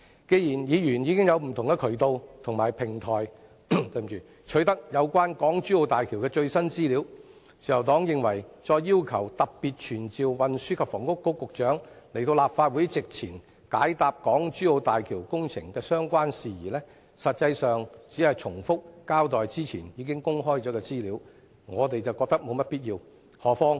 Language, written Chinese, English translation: Cantonese, 既然議員已經有不同的渠道及平台取得有關港珠澳大橋的最新資料，自由黨認為再要求特別傳召運房局局長到立法會席前，解答港珠澳大橋工程的相關事宜，實際上只是重複交代之前已經公開的資料，我們覺得沒有必要。, Since there are already different channels and platforms for Members to obtain the updated information on HZMB the Liberal Party considers that making a request again to summon the Secretary specifically to attend before the Council and reply to the enquiries relating to the HZMB project is indeed just a way to make the Secretary repeat the information already released previously